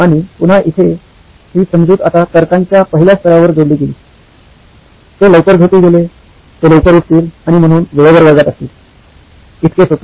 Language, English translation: Marathi, And again here the assumption now added to the first level of reasoning, they slept early, they would wake up early and hence would be on time to class, so as simple as that